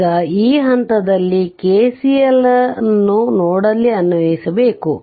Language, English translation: Kannada, Now what you do is you apply KCL at node at this point